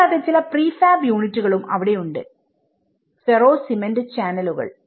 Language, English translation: Malayalam, Also, there has been some prefab units such as Ferro Cement Channels